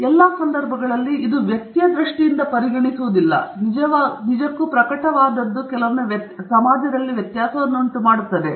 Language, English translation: Kannada, And in all cases, it’s not just a person’s view that gets taken into account; it is what they have actually published that really makes the difference